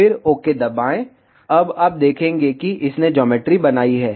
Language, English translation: Hindi, Then press ok, now you see it has created the geometry